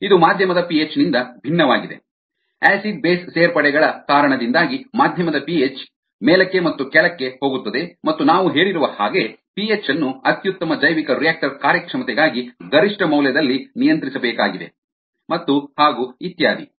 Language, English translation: Kannada, p h of the medium, we know, goes up and down because of acid base additions and we said that the p h needs to be controlled at an optimum value for pest bioreactor performance